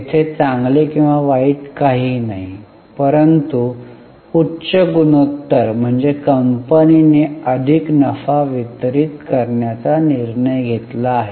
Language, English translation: Marathi, There is nothing good or bad, but higher ratio signifies that company is able to, company has decided to distribute more profits